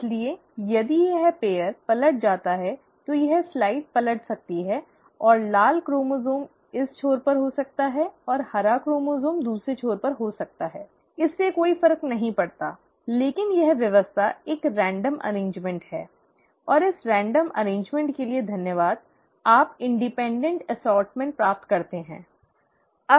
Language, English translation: Hindi, so if this pair flips over, so this side can flip over and the red chromosome can be at this end and the green chromosome can be at the other end, it does not matter, but this arrangement is a random arrangement, and thanks to this random arrangement, you end up getting independent assortment